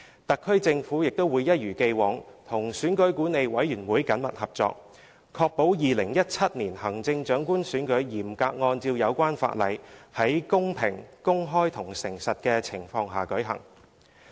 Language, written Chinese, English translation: Cantonese, 特區政府會一如既往，與選舉管理委員會緊密合作，確保2017年行政長官選舉嚴格按照有關法例，在公平、公開及誠實的情況下舉行。, As in the past the SAR Government will work closely with the Electoral Affairs Commission EAC to ensure that the 2017 Chief Executive Election will be held in a fair open and honest manner strictly in accordance with the relevant legislation